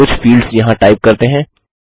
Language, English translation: Hindi, Lets type a couple of fields here